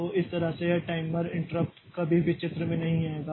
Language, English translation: Hindi, So, that way this timer interrupt will never come into picture